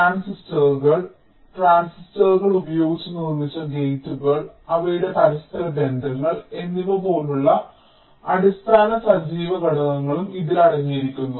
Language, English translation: Malayalam, it contains the basic active components like the transistors, the gates which are built using transistors and their interconnections